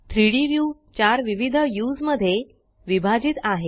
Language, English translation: Marathi, The 3D view is divided into 4 different views